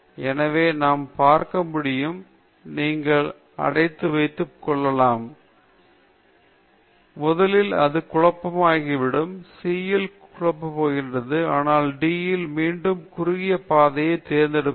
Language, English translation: Tamil, So, we can see, you can keep obstruction, then first it will get confused, in C it is getting confused, but in D it is again choosing the shortest path